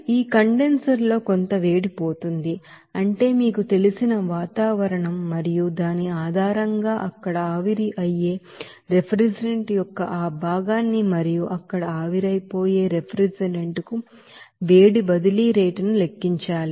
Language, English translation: Telugu, So in this condenser some heat will be lost that is to the you know that atmosphere and based on which you have to calculate that fraction of refrigerant that evaporates there and heat transfer rate to the refrigerant that evaporates there